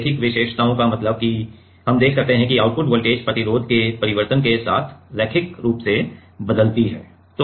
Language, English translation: Hindi, Linear characteristics means we can see that the output voltage linearly varies with the change in resistance